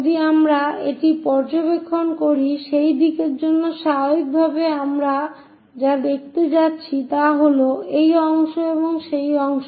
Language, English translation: Bengali, So, normal to that direction if we are observing this, what we are going to see is this part and this part